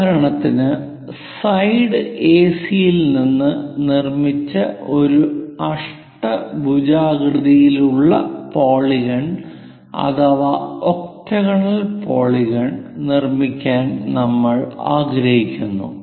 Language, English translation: Malayalam, Let us construct a regular polygon; for example, we will like to make octagonal polygon constructed from AC given side